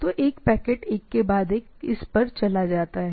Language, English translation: Hindi, So, one packet after another it goes on